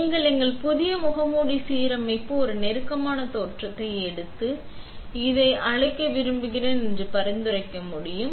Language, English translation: Tamil, I can only recommend that you take a closer look at our new mask aligner in person and would like to invite you to do so today